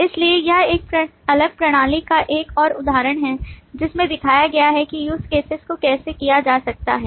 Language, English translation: Hindi, So this is just another example of a different system showing how use cases can be done